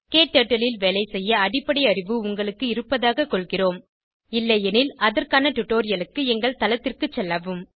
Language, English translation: Tamil, We assume that you have basic working knowledge of KTurtle If not, for relevant tutorials, please visit our website